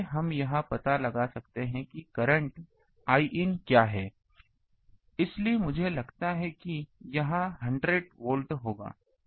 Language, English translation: Hindi, So, we can find out what is the current I in so, I this one I think it will be 100 to volt